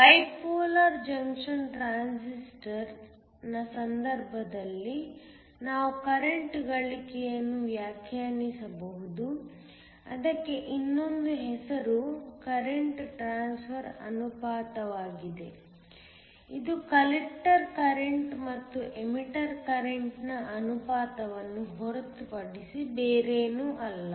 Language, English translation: Kannada, In the case of a Bipolar Junction Transistor we can define a current gain another name for it is also the current transfer ratio; this is nothing but the ratio of the collector current to the emitter current